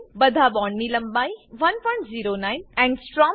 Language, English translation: Gujarati, All the bond lengths are equal to 1.09 angstrom